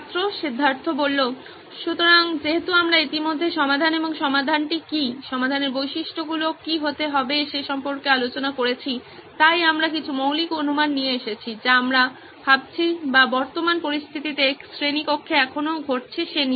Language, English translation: Bengali, So since we already discussed about the solution and what the solution, what the features in the solution has to be, we have come up with some basic assumptions what we are thinking or still happening in the current situation in a classroom